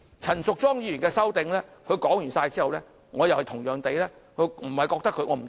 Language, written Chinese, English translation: Cantonese, 陳淑莊議員就其修訂建議發言之後，我同樣不覺得......, Similarly after Ms Tanya CHAN had spoken on her proposed amendments I did not find I will not read out their contents less the President will rebuke me